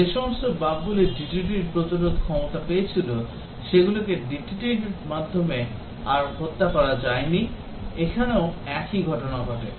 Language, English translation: Bengali, Just like the bugs that had got immune to DDT could not be killed by DDT anymore, the same thing happens here